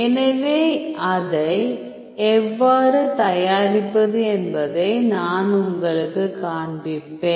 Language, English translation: Tamil, So, I will show you how to prepare that